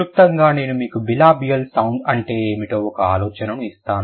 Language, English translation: Telugu, We'll briefly I gave you an idea what is a bilibial sound